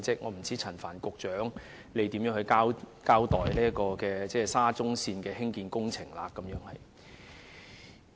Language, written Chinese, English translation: Cantonese, 我不知道陳帆局長會如何交代沙中線的工程問題。, I wonder how Secretary Frank CHAN will account for the construction problems of SCL